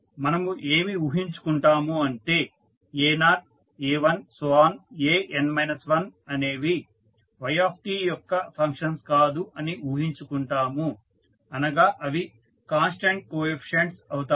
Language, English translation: Telugu, We will assume that the a1 to a naught to a1 and an minus 1 are not the function of yt means they are the constants coefficient